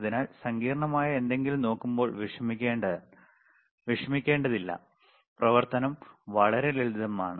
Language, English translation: Malayalam, So, do not worry when you look at something which is complex the operation is really simple, all right